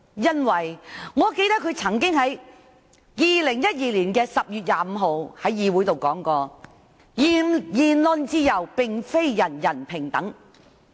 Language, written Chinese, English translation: Cantonese, 因為，我記得她在2012年10月25日，曾經在議會上說"言論自由並非人人平等"。, However I understand that Ms Claudia MO would definitely make no comment because I recall her saying on 25 October 2012 Freedom of speech is not equal for all